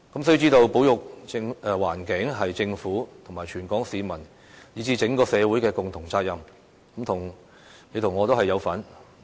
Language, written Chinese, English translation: Cantonese, 須知道，保育環境是政府、全港市民以至整個社會的共同責任，你我都有份。, We must realize that environmental conservation is a collective responsibility of the Government all people in Hong Kong and even the community at large including you and me